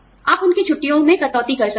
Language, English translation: Hindi, You could, cut down on their vacations